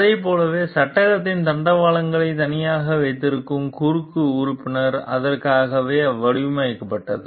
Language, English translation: Tamil, And like then it was like the cross member that holds the rails of the frame apart was ideally designed for that